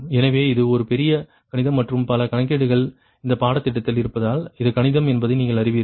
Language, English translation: Tamil, so, because it is a huge mathematics and [laughter] so many calculations are there right throughout this course